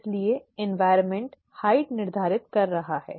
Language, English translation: Hindi, So the environment is determining the height